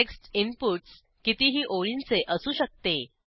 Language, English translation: Marathi, It can consist of any number of lines